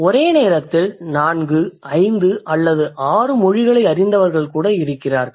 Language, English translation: Tamil, There are people who may know four, five or six languages at one go